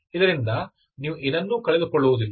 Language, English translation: Kannada, You do not lose anything